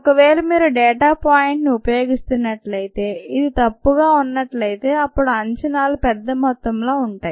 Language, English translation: Telugu, if you are using the data point which happen to be incorrect, then the errors would be large in the estimates